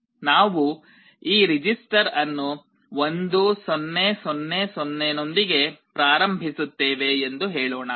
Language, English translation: Kannada, Let us say we initialize this register with 1 0 0 0